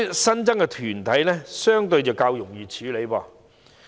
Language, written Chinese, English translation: Cantonese, 新增的團體相對較容易處理。, It is relatively easier to deal with newly added corporates